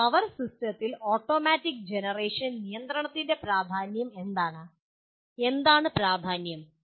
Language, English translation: Malayalam, What is the importance of automatic generation control in a power system, what is the importance